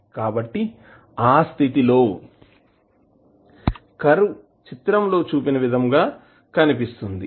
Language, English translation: Telugu, So, in that case it will the curve will look like as shown in the figure